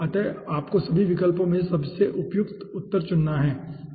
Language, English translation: Hindi, okay, so you have to the most appropriate answer among all the options